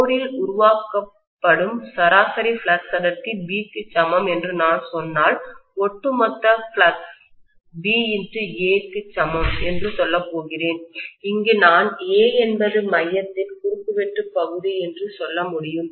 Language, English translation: Tamil, If I say that the average flux density that is created in the core is equal to B, then I am going to say that the overall flux equal to B multiplied by A, where A is the area of cross section of the core